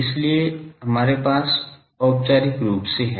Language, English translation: Hindi, So, we have formally